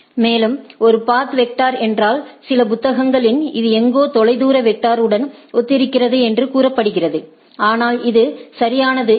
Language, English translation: Tamil, And, in case of a path vector it somewhat somewhere in some of the literature say it is somewhat similar to distance vector, but not exactly